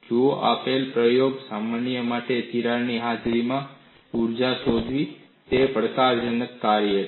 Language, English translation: Gujarati, See, for a given practical problem, finding out the energy in the presence of a crack is a challenging task